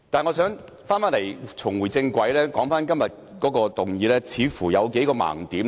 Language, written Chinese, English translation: Cantonese, 我只想立法會重回正軌，並指出今天這項議案的數個盲點。, I merely want the Legislative Council to get back on the right track and I would like to point out a few blind spots of this motion today